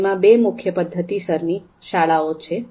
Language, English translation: Gujarati, So they have two main methodological schools